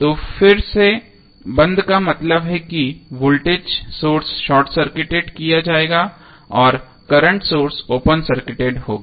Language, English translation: Hindi, So, again the turned off means the voltage source would be short circuited and the current source would be open circuited